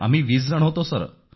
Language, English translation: Marathi, 20 of us Sir